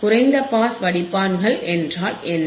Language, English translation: Tamil, Now you know, what are low pass filters